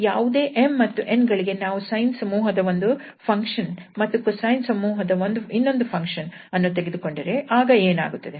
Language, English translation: Kannada, That for any m, n if we take 1 member from sine family other member from the cosine family then what will happen